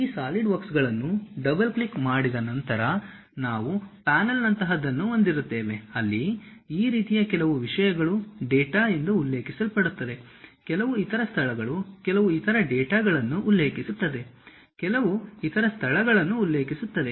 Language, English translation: Kannada, After double clicking these Solidworks we will have something like a panel, where some of the things mentions like these are the data, there will be some other places some other data mentions, some other locations some other data will be mentioned